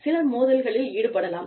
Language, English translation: Tamil, People can get into, conflicts